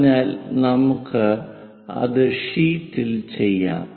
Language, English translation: Malayalam, So, let us do that on sheet